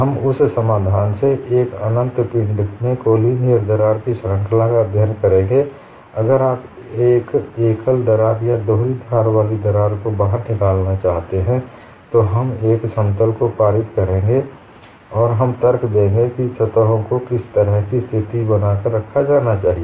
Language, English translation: Hindi, We would study for series of collinear cracks in an infinite body from that solution, if you want to take out a single edged crack or double edged crack, we would pass a plane and we would argue what kind of situation that should be maintained on the surfaces